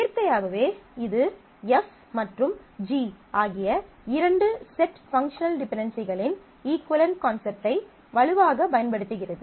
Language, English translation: Tamil, Naturally this is strongly using the underlying concept of equivalence of two sets of functional dependencies F and G